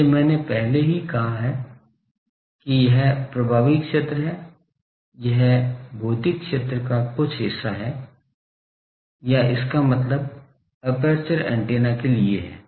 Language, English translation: Hindi, So, I have already said that this effective area, it is a some portion of the physical area, or a that means the for a aperture antenna